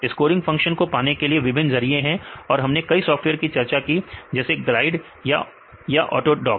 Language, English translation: Hindi, There are the various ways to get the scoring functions right and we discuss various software like Glide or Autodock right